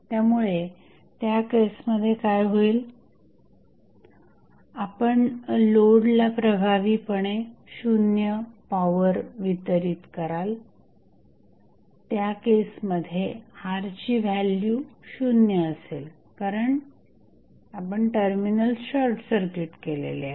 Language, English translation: Marathi, So, in that case what will happen, you will effectively deliver 0 power to the load because in that case the R value is 0 because you have short circuited the terminals